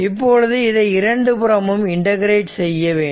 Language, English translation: Tamil, Now, you integrate both side